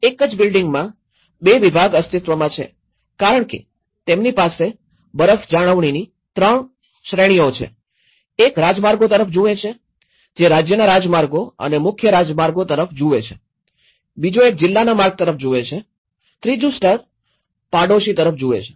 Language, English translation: Gujarati, In the same building, two departments exist because they have 3 categories of the snow maintenance; one looks at the highways, one looks at the state highways and the main highways, the second one looks the district routes, the third level looks the neighbourhood level